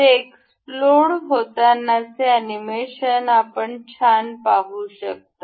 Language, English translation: Marathi, This explode, you can see this animation nicely